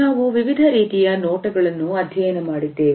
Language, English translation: Kannada, We had looked at different types of gazes